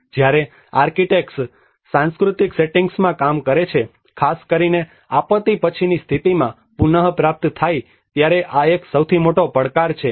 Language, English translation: Gujarati, This is one of the biggest challenge when an architects work in a cultural settings, especially in the post disaster recover